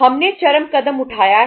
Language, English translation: Hindi, We have taken the extreme step